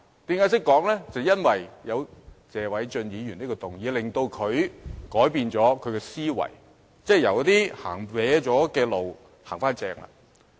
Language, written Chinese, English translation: Cantonese, 便是因為謝偉俊議員提出這項議案，改變了他的思維，即從歪路走向正路。, Because this motion moved by Mr Paul TSE has changed his thinking by putting it back onto the right track